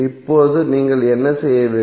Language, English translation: Tamil, Now what do you have to do